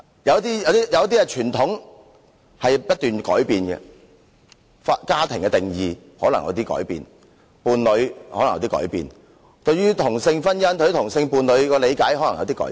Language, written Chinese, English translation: Cantonese, 有些傳統不斷在改變，家庭和配偶的定義可能改變，對於同性婚姻、同性伴侶的理解可能改變。, Some traditions are constantly changing . The definitions of family and spouse may change so may the understanding of same - sex marriage and same - sex partner